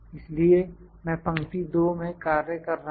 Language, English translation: Hindi, So, I was working in row two